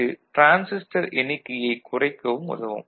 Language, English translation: Tamil, That reduces the transistor count ok